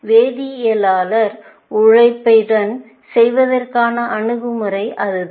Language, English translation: Tamil, That is the approach with chemist for doing it laboriously